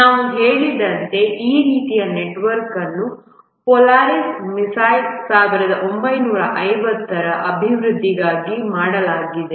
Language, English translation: Kannada, This kind of network, as we said, was done for development of the Polaris missile 1950s